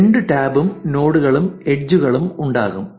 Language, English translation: Malayalam, There will be two tabs, nodes and edges